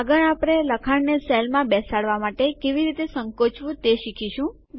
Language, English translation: Gujarati, Next we will learn how to shrink text to fit into the cell